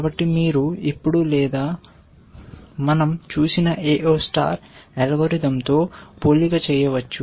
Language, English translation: Telugu, So, you can now also make a comparison or with the AO star algorithm that we had seen